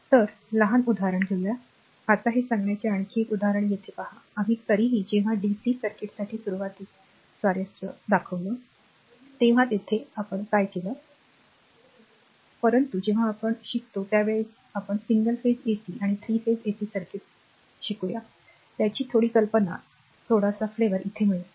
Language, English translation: Marathi, So, small example; now, another example tell this is here look whenever we are taking time function here it is a we are anyway we are interested for initially for the dc circuit, but when we will go for single phase ac and 3 phase ac circuits at the time detail we learn, but little bit idea little bit of you know flavor you will get here that that much